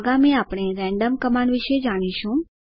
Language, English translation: Gujarati, Next we will learn about random command